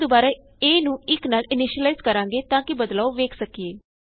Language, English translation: Punjabi, We again initialize a to 1 so as to reflect on the changes